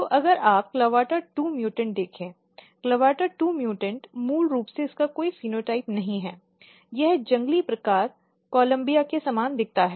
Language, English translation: Hindi, So, if you look clavata2 mutant; CLAVATA2 mutants basically it does not have any phenotype it looks very similar to the wild type Columbia